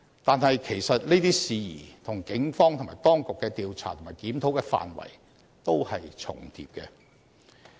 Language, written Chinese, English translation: Cantonese, 但是，其實這些事宜跟警方及當局的調查和檢討的範圍，都是重疊的。, However these aspects of investigation are duplicating with the scope of investigation and review of the Police and the authorities